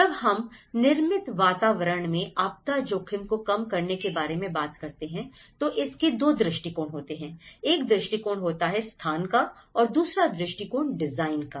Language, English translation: Hindi, When we talk about the reducing disaster risks in the built environment, there are 2 approaches to it; one is the location approach, the second one is the design approach